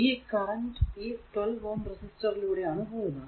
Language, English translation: Malayalam, There is a this is a 12 ohm ah resistance here